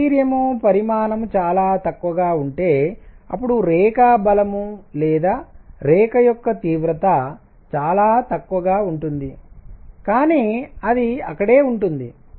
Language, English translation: Telugu, If the quantity is deuterium is very small, then the line strength or the intensity of line is going to be very small, but it is going to be there